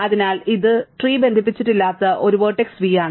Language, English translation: Malayalam, So, this is a vertex v now which is not connected to the tree